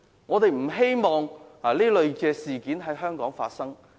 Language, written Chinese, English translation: Cantonese, 我們不希望這類事件在香港發生。, We do not want such incidents to happen in Hong Kong